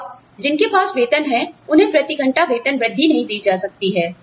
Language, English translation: Hindi, Now, people, who have salaries, cannot be given, an hourly pay raise